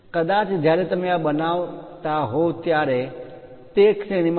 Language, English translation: Gujarati, Perhaps when you are making this is ranging from 25